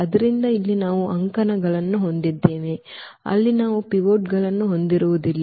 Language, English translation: Kannada, So, here these are the columns where we do not have pivots